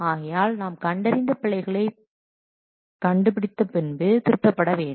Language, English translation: Tamil, So, after this detection we must correct these errors